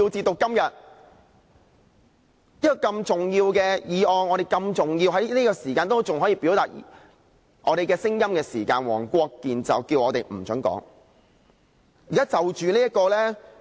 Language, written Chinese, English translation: Cantonese, 這些如此重要的議案，在我們仍可就此表達我們的聲音時，黃國健議員便不准我們發言。, When we are still able to express our views on this important issue Mr WONG Kwok - kin however stops us from doing so